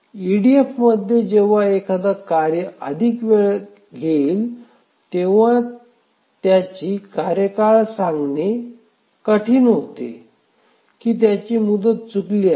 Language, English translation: Marathi, So, when an executing task takes more time in EDF, it becomes difficult to predict which task would miss its deadline